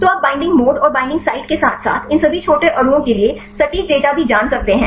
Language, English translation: Hindi, So, you can know the binding mode and the binding site as well as the accurate data for all these small molecules